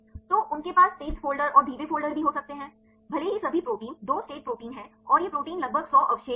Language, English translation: Hindi, So, they can also have fast folders and slow folders; even if all the proteins are 2 state proteins and these proteins are small about hundred residues